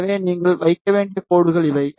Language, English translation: Tamil, So, these are the lines that you need to put